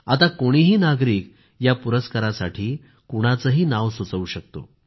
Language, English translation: Marathi, Now any citizen can nominate any person in our country